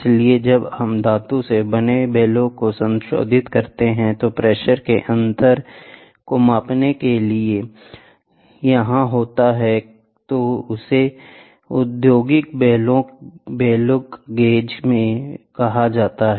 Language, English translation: Hindi, So, when we modify the metallic bellows which is here for measuring differential pressure, it is also called as industrial bellow gauges